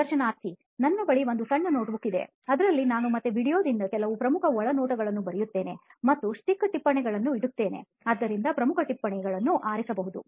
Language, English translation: Kannada, I have a small notebook with me which again I write a few important insights from the video and I keep stick notes where I can pick for that important notes